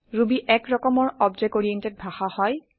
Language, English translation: Assamese, Ruby is an object oriented language